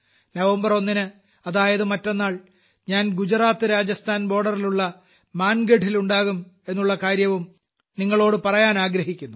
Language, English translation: Malayalam, the day after tomorrow, I shall be at will be at Mangarh, on the border of GujaratRajasthan